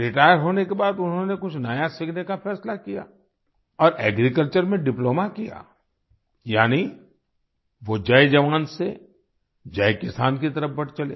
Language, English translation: Hindi, After retirement, he decided to learn something new and did a Diploma in Agriculture, that is, he moved towards Jai Jawan, Jai Kisan